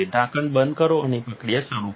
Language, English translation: Gujarati, Close to lid and start the process